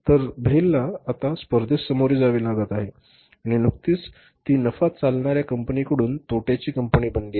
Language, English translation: Marathi, So, BHA has now started facing the competition and recently it has become a loss making company from the profit making company